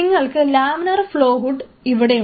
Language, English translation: Malayalam, So, you have laminar flow hood sitting here